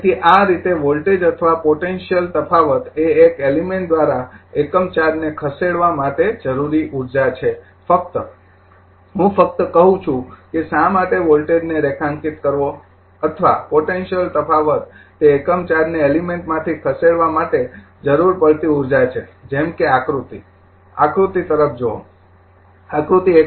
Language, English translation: Gujarati, So, thus voltage or potential difference is the energy required to move a unit charge through an element right you will just I just I say thus why underline the voltage or potential difference is the energy require to move a unit charge through an element like figure look at the figure, figure 1